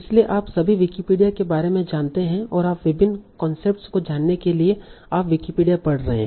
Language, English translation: Hindi, So Wikipedia all of you know about Wikipedia and you have been reading Wikipedia for many of your for knowing different concepts and all